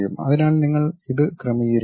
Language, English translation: Malayalam, So, you have to really adjust it